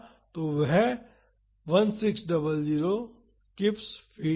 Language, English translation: Hindi, So, that is 1600 kips feet